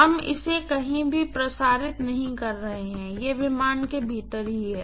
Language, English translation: Hindi, We are not transmitting it anywhere, it is within the aircraft itself